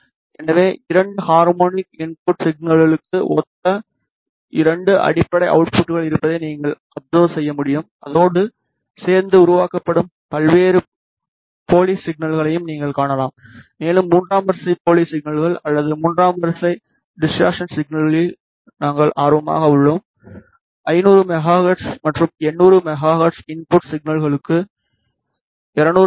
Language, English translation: Tamil, So, as you can observe there are two fundamental outputs which correspond to the two tone input signals and along with the along with those you can see various spurious signals generated and we are interested in the third order spurious signals or third order distortion signals which are at 200 megahertz and 1